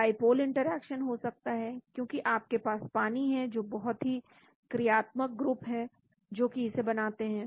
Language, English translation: Hindi, There could be dipole interaction, because you have water so many functional groups which form them